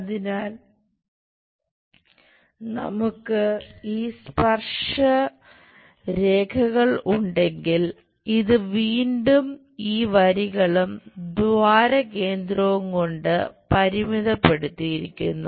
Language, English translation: Malayalam, So, if we are having these tangent lines, again its bounded by these lines and hole center here